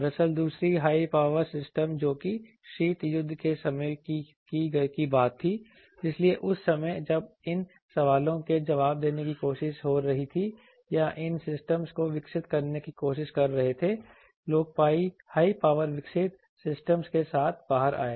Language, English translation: Hindi, Actually basically the second thing high power systems that was a cold war time thing so that time while trying to answer these questions or trying to develop these systems people came out with the high power developed these systems